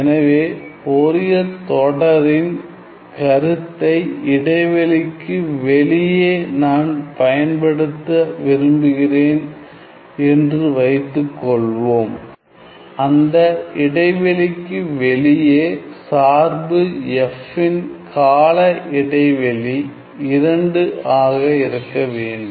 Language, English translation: Tamil, So, suppose I want to use the concept of Fourier series, we must have the fact that outside the interval my function f has to be 2 a periodic